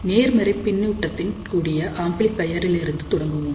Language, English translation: Tamil, So, we will start with an amplifier with positive feedback